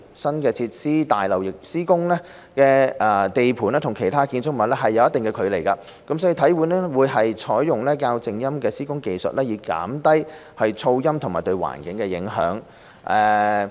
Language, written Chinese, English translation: Cantonese, 新設施大樓施工地盤與其他的建築物有一定的距離，體院會採用較靜音的施工技術以減低噪音及對環境的影響。, There is a certain distance between the construction site for the new facilities building and other buildings . HKSI will adopt quieter construction techniques to minimize noises and environmental impacts